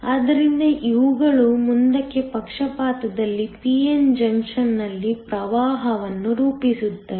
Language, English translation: Kannada, So, these constitute the current in a p n junction in the forward bias